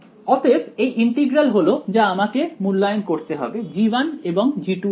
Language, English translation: Bengali, So, these integrals are the ones I have to evaluate this and this for both g 1 and g 2 ok